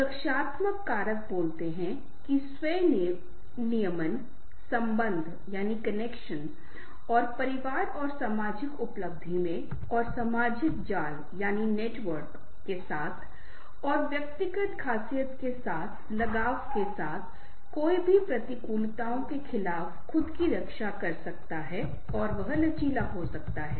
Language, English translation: Hindi, the protective factors speaks that with the self regulation connections and the attachment in the family and social achievement and with social network and with personality traits, one can protect himself against the adversities